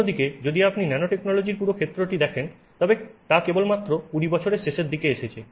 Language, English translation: Bengali, If you see on the other hand the whole field of nanotechnology has really come about only in the last say 20 years